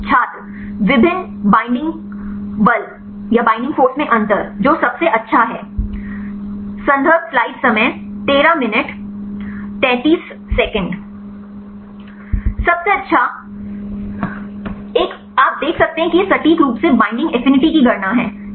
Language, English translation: Hindi, difference in different binding force which one is the best Best one right you can see it is accurately calculated binding affinity